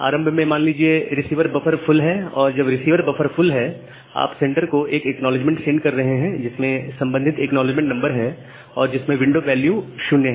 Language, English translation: Hindi, Initially, say the receiver buffer is full when the receiver buffer is full, you are sending an acknowledgement to the sender saying that the acknowledgement the corresponding acknowledgement number followed by the window value as 0